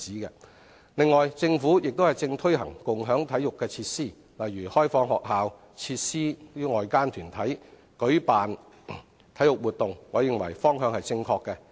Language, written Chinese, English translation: Cantonese, 此外，政府正推行共享體育設施，例如開放學校設施予外間團體舉辦體育活動，我認為方向正確。, Besides the Government is also promoting co - sharing of sports facilities such as opening up school facilities to outside bodies to organize sports activities